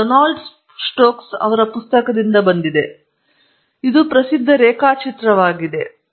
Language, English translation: Kannada, This is from Donald Stokes book, but it is basically a well known diagram